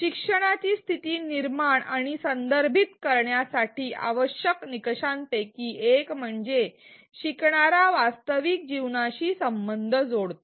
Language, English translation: Marathi, One of the essential criteria for situating and contextualizing the learning is that the learner makes connections with real life